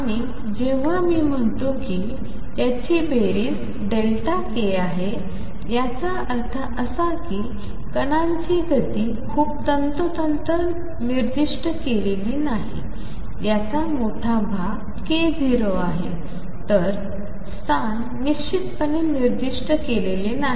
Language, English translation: Marathi, And when I say that their sum is spread delta k; that means, momentum of the particle is not specified very precisely a large chunk of it is k 0, but there is also a spread in it